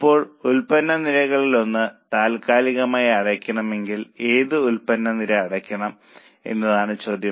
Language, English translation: Malayalam, Now the question is if one of the product lines is to be closed temporarily, which product line should be closed